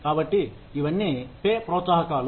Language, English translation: Telugu, So, all of these, are the pay incentives